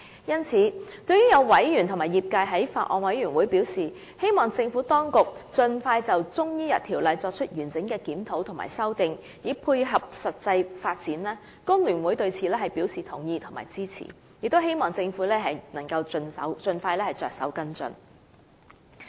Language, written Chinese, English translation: Cantonese, 因此，對於有委員和業界在法案委員會會議席上表示，希望政府當局盡快就《條例》作出完整的檢討和修訂，以配合實際發展，工聯會對此表示同意並支持，亦希望政府能夠盡快着手跟進。, In view of this some Members and industry members expressed the hope that the Administration could expeditiously review and revise CMO comprehensively so as to dovetail with the actual development . The Hong Kong Federation of Trade Unions agrees with and supports doing so and hopes that the Government will take follow - up actions as soon as possible